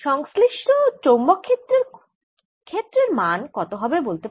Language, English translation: Bengali, how about the corresponding magnetic field